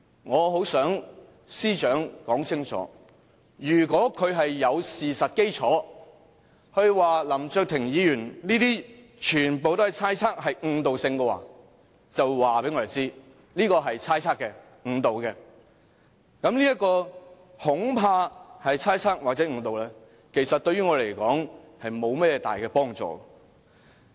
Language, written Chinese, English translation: Cantonese, 我很想司長說清楚，如果她有事實基礎，指出林卓廷議員說的全部都是猜測、誤導性的說話，就告訴我們這是猜測的、誤導的；如果說，這"恐怕"是猜測或是誤導的，其實對於我們來說並沒有大幫助。, I would very much like the Chief Secretary for Administration to make a clarification . If she has any facts to support her saying that Mr LAM Cheuk - tings remarks are all speculative and misleading then please tell us directly that his words are all speculative and misleading . Her use of the word afraid cannot be of any great help to us